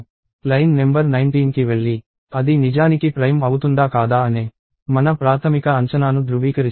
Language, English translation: Telugu, And line number 19 goes and verifies our initial assumption whether it is actually prime or not